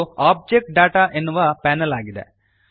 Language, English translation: Kannada, This is the Object Data panel